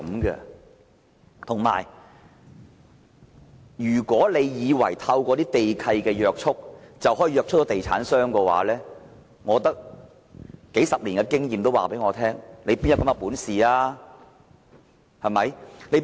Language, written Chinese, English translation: Cantonese, 如果政府以為透過地契便可以約束地產商，數十年經驗告訴我，政府哪有這種本事？, The Government thinks that it can restrain property developers by the land lease but drawing on my decades of experience is the Government really that capable?